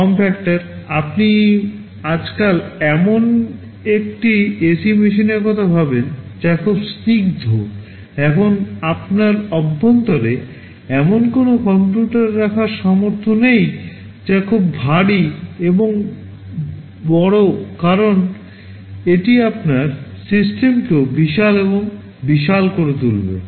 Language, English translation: Bengali, Form factor; you think of an ac machine nowadays that are very sleek, now you cannot afford to have a computer inside which is very bulky and big because that will make your system also bulky and big